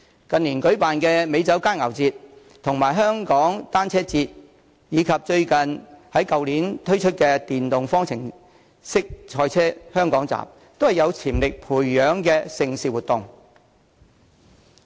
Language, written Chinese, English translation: Cantonese, 近年舉辦的美酒佳餚節、香港單車節，以及去年推出的電動方程式賽車香港站，都是有發展潛力的盛事活動。, Events held in recent years such as the Hong Kong Wine and Dine Festival Hong Kong Cyclothon and the Formula E motor racing championship staged last year are all mega events which have potential for further development